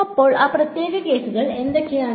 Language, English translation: Malayalam, So, what are those special cases